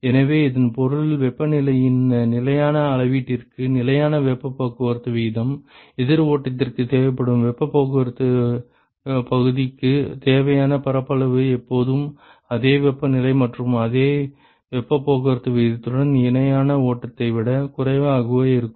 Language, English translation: Tamil, So, which also means implies that for fixed measure of temperature and therefore, fixed heat transport rate ok, the area required for heat transport area required by counter flow is always smaller lesser than that for parallel flow with same temperature and same heat transport rate ok